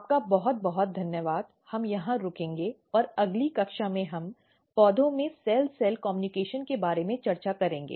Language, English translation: Hindi, Thank you very much we will stop here and in next class we will discuss about the cell cell communication in plants